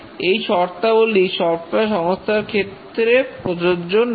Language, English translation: Bengali, And that's not applicable to software industry